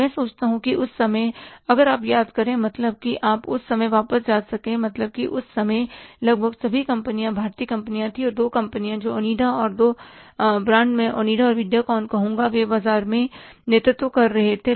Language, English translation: Hindi, So, there was almost all the companies were the Indian companies and two companies that is the Onida and two brands I would say onida and videocon they were leading the market